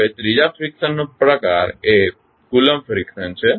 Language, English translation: Gujarati, Now, the third friction type is Coulomb friction